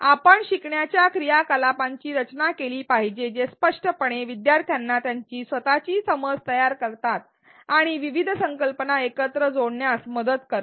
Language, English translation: Marathi, We should design learning activities that explicitly make learners construct their own understanding and help them connect various concepts